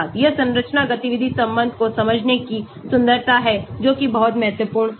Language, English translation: Hindi, that is the beauty of understanding the structure activity relationship here that is very, very important